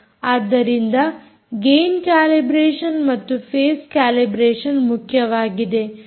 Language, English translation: Kannada, so gain calibration, phase calibration are important and they have to be done